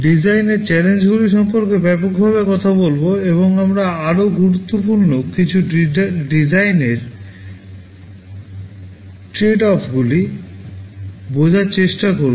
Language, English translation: Bengali, We shall broadly be talking about the design challenges, and we shall also be trying to understand some of the more important design tradeoffs